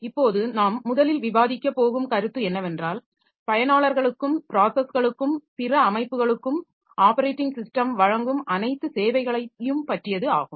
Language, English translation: Tamil, Now, the concepts that we are going to cover is first of all the services and operating system provides to users, processes and other systems